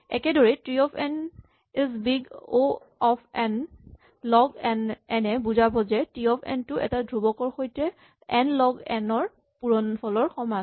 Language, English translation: Assamese, Same way T of n is big O n log n means T of n is some constant times n log n